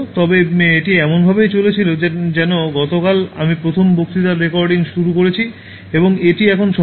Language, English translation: Bengali, But it just went like as if I just started recording the first lecture yesterday and then it’s just completing now